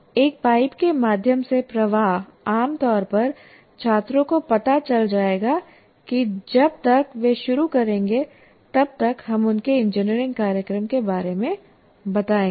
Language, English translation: Hindi, Flow through a pipe, generally the students would know by the time they would start with, let us say, their engineering programs